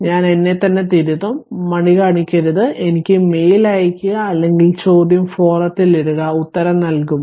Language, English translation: Malayalam, I have I will rectify myself right do not hesitate your to mail me, or put the question in the forum we will answer right